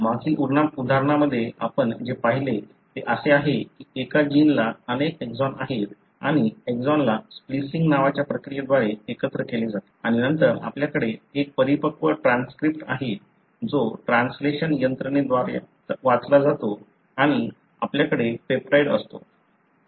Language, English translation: Marathi, What we have looked at in the previous example is that a gene has got multiple exons and the exons are joined together by a process called as splicing and then you have a matur transcript, which are read by the translation machinery and you have the peptide